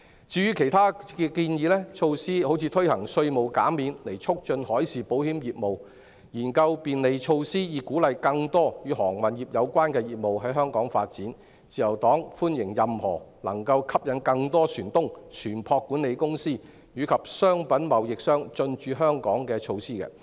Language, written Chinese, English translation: Cantonese, 至於其他建議的措施，例如推行稅務減免以促進海事保險業務、研究便利措施以鼓勵更多與航運業有關的業務在香港發展，自由黨歡迎任何能夠吸引更多船東、船舶管理公司和商品貿易商進駐香港的措施。, As regards other proposed measures such as provision of tax reliefs to promote the business of marine insurance and exploring facilitation measures to encourage more maritime - related businesses to develop in Hong Kong the Liberal Party welcomes any measure that can attract more shipowners ship management companies and commodity traders to station in Hong Kong